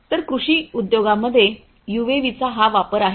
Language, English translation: Marathi, So, this is the use of UAVs in the agricultural industries